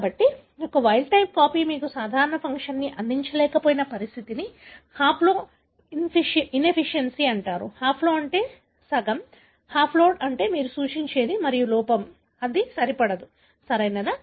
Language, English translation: Telugu, So, that condition wherein one wild type copy is unable to provide you the normal function is called as haplo insufficiency; haplo meaning half, the haploid that is what you refer to and insufficiency is that that it is not good enough, right